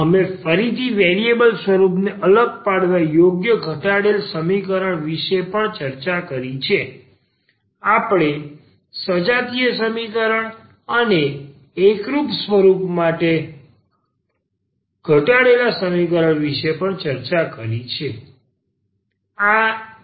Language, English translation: Gujarati, And we have also discussed about the equation reducible to the separable of variable form again, we have also discussed the homogeneous equation and the equation reducible to the homogeneous form